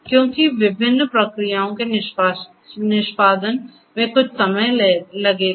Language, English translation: Hindi, Because execution of different processes will take some time